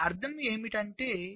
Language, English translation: Telugu, what does this mean